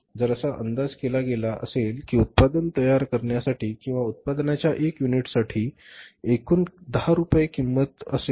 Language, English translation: Marathi, So, if the maybe had estimated that for manufacturing the product or one unit of the product say the total cost of the production would be 10 rupees